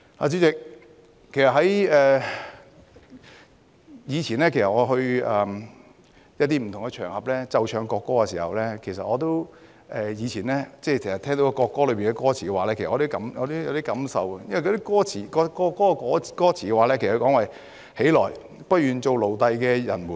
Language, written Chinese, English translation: Cantonese, 主席，其實以前我去一些不同場合，奏唱國歌，聽到國歌歌詞時，我也有一點感受，歌詞提到："起來！不願做奴隸的人們！, President in fact in the past on occasions when the national anthem was played and sung I also had some reflections when I heard the lyrics of the anthem which says Arise ye who refuse to be slaves!